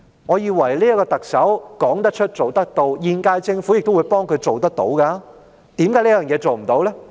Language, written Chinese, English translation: Cantonese, 我以為特首說得出、做得到，現屆政府亦會幫助她做得到，為何做不到呢？, I thought the Chief Executive would honour her pledges and the current - term Government would assist her in achieving it . Why did she not do it?